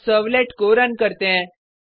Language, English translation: Hindi, Now, let us run the servlet